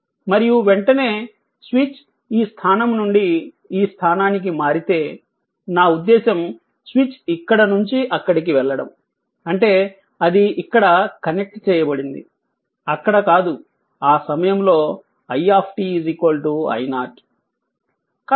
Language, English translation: Telugu, And as soon as switch moves from this position to that position I mean, if the switch is moving from this to that; that means, if it is connected here and it is not there, at that time i t is equal to i 0 right